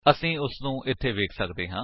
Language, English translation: Punjabi, We can see that here